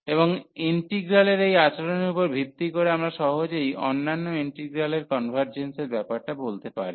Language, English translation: Bengali, And based on the behaviour of this integral, we can easily conclude the convergence of the other integral